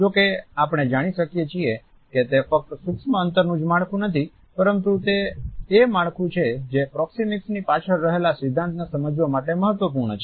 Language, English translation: Gujarati, However, we find that it is not only the structuring of the micro space, but it is also the structuring of the micro space which is important to understand the principle behind proxemics